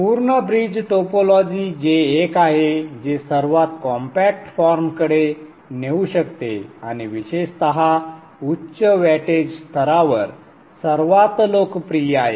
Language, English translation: Marathi, The full bridge topology which is the one which would lead to the most compact form and the most popular especially at the higher wattage levels will also be looked at